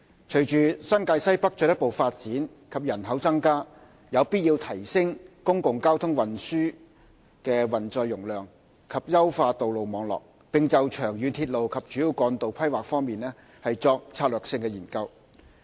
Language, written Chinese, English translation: Cantonese, 隨着新界西北進一步發展及人口增加，有必要提升公共交通運載容量及優化道路網絡，並就長遠鐵路及主要幹道規劃方面作策略性研究。, Following the further development and population growth in NWNT it is necessary to enhance the carrying capacity of public transport and the road network as well as to commence strategic studies on long - term railway and major roads planning